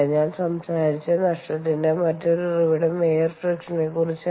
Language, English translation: Malayalam, ok, the other source of loss that i talked about was air friction